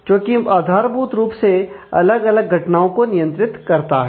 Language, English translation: Hindi, So, which basically controls the different events